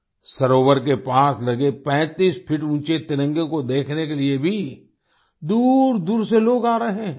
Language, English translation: Hindi, People are also coming from far and wide to see the 35 feet high tricolor near the lake